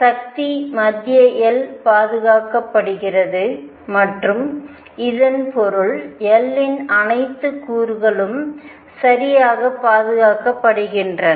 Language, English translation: Tamil, The force is central L is conserved and this means all components of L are conserved alright